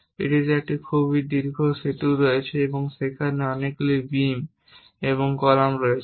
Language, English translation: Bengali, It contains a very long bridge and many beams and columns are there